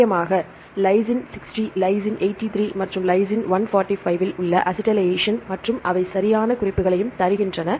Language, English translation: Tamil, Mainly the acetylation on Lys 60, Lys 83 and Lys 145 right and they give the proper references also